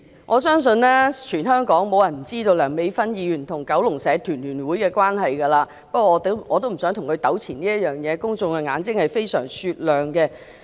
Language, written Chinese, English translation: Cantonese, 我相信全香港沒有人不知道梁美芬議員與九龍社團聯會的關係，不過我也不想與她在這件事上糾纏，公眾的眼睛是非常雪亮的。, I believe no one in Hong Kong does not know the relationship between Dr Priscilla LEUNG and the Kowloon Federation of Associations but I do not wish to wrangle with her over this matter as the public are very discerning